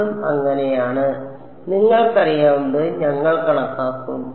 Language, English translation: Malayalam, That is also so, we will calculate it you know